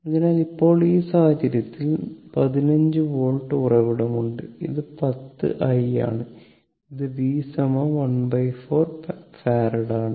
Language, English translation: Malayalam, So, now in this case, 15 volt source is there and this is 10 i and this is your v 1 1 upon 4 Farad